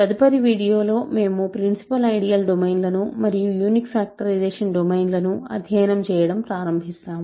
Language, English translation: Telugu, In the next video, we will start studying principal ideal domains and unique factorization domains